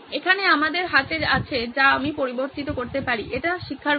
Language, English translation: Bengali, Here we have is what can I vary, it’s the pace of teaching